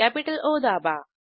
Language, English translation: Marathi, Press capital O